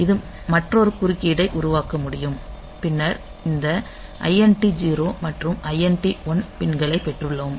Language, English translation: Tamil, So, that can generate another interrupt then we have got this INT 0 and INT 1 pins